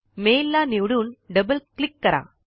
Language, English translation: Marathi, Select the mail and double click